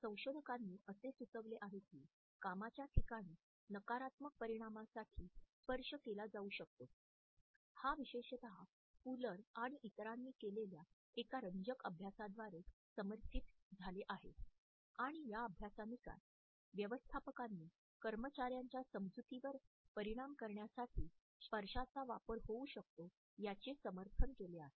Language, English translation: Marathi, Researchers suggest that touch may be used to positive outcomes in the workplace, this is particularly supported by a very interesting study which was done by Fuller and others and this study had supported the notion that managers may use touch to influence the perceptions of employees